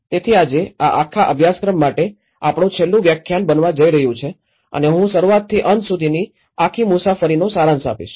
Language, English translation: Gujarati, So today, this is going to be our last lecture for this whole course and I am going to summarize everything the whole journey from the starting to the ending